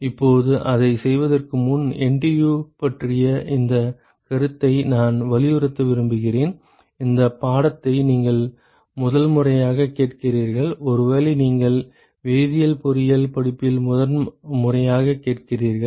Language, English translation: Tamil, Now, before we do that I want to emphasize this concept of NTU: it is the first time you are hearing this course and first time probably you are hearing in a chemical engineering course